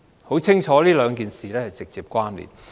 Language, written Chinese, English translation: Cantonese, 很清楚，兩件事是直接關連的。, Obviously these two issues are directly related